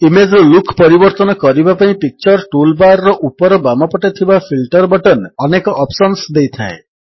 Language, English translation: Odia, The Filter button at the top left of the Picture toolbar gives several options to change the look of the image